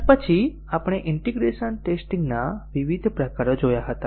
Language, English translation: Gujarati, And then we had looked at the different types of integration testing